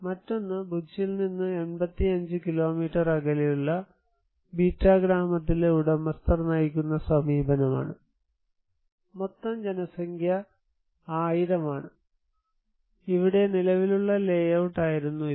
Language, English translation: Malayalam, Another one is the owner driven approach in Bitta village, 85 kilometer from the Bhuj, total population is around 1000 and here it was the existing layout